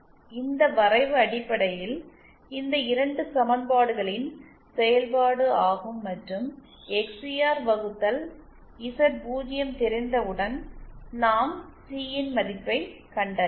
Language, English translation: Tamil, This plot is basically a realisation of these 2 equations and once we know XCR upon Z0, we can find out C